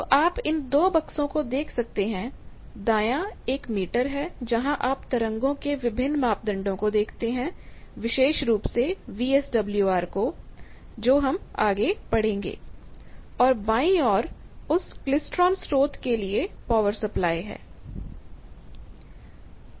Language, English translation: Hindi, The right 1 is the meter where you see the waves various parameters particularly VSWR, which will come next and left side is the power supply for that klystron source